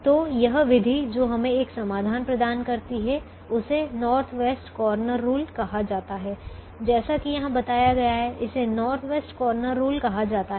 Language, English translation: Hindi, so this method which gives us a solution is called the north west corner rule, as indicated here